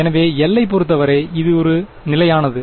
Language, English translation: Tamil, So, it is a constant as far as L is concerned right